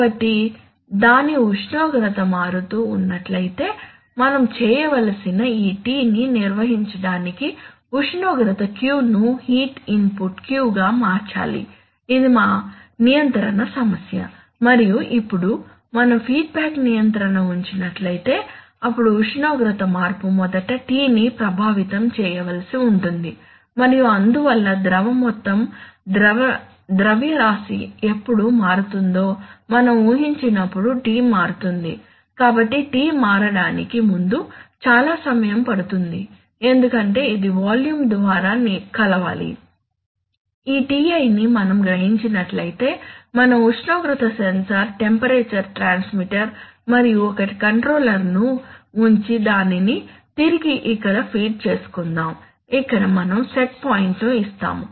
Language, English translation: Telugu, So if its temperature varies what we have to do is that, we have to correspondingly change the temperature Q the heat input Q, so that this T is maintained, this is, this is our control problem and now if we do a feedback control then if there is a temperature change then then that would have to affect T first and therefore the T will change when the, we assume when the whole mass of the liquid will change, so lot of time will take place before T can change because this has to mix through the, through the volume, rather than that we are assuming that if we sense this Ti suppose we put a temperature sensor, temperature transmitter and put a controller and feed it back here, here we give the set point